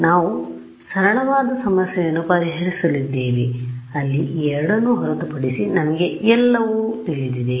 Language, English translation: Kannada, So, we are solving a simpler problem where we know everything except these two these itself is going to be difficult